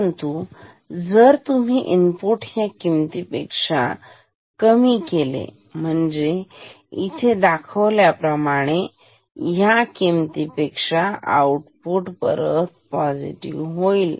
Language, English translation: Marathi, But, if you bring the in input below this value; that means, this value like this here at this point output will become positive again